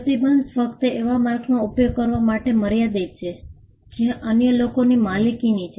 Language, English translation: Gujarati, The restriction is only in confined to using marks that are owned by others